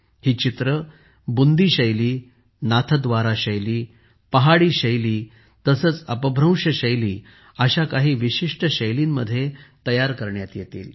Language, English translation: Marathi, These paintings will be made in many distinctive styles such as the Bundi style, Nathdwara style, Pahari style and Apabhramsh style